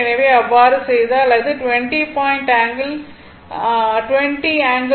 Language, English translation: Tamil, So, it will become 20 angle 36